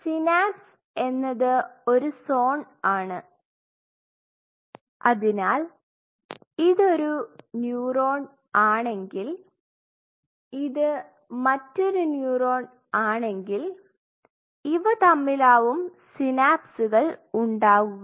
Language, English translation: Malayalam, So, whenever we talk about the synapse it is a zone where say this is one neuron this is another neuron and they are forming synapses